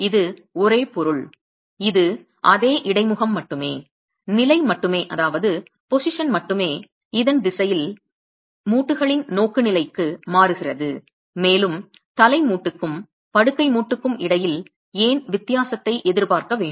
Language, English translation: Tamil, Could you think of a reason why it's the same material, it's the same interface, only the position, only the direction of the orientation of the joint changes and why should one expect a difference between the head joint and the bed joint